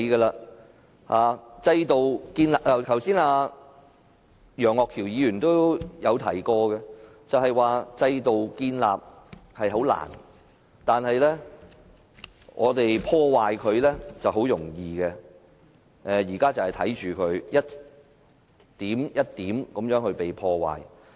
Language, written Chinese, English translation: Cantonese, 一如楊岳橋議員剛才所說，建立制度很難，但要破壞它卻很容易，我們現在正是看到制度被一點一滴地破壞。, As Mr Alvin YEUNG has stated just now it would be very difficult to establish a system but just a piece of cake for us to destroy it and we are now witnessing the destroy of our system bit by bit